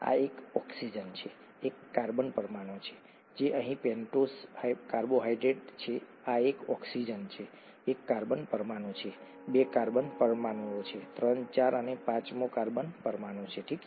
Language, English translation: Gujarati, This is an oxygen, one carbon atom, two carbon atoms, three, four and the fifth carbon atoms here, okay